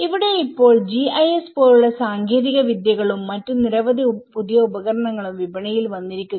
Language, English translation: Malayalam, So here, now the technologies like GIS and many other new tools have come in the market